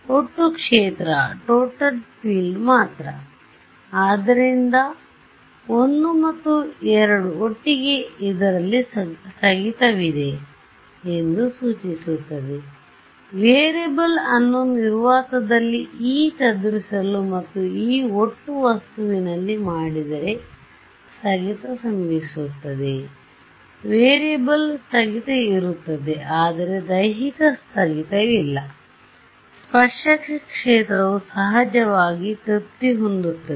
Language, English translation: Kannada, Only total field; so, I and II together imply that there is a discontinuity that will happen if I make my variable to be E scattered in vacuum and E total in the object, there is there will be a discontinuity of the variables, there is no physical discontinuity the tangential field will be of course, be satisfied, but there is a discontinuity in the variables